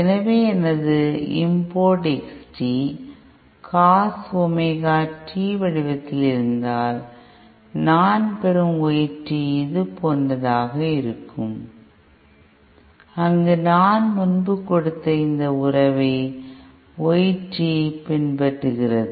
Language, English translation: Tamil, So if my import X t is like this of this form A in Cos Omega t, then the Y t that I get will be like something like this, where Y t follows this relationship that I have given earlier